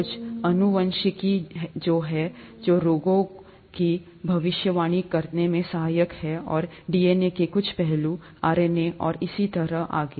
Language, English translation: Hindi, Some genetics which are, which is helpful in, predicting diseases and some aspects of DNA, RNA, and so on so forth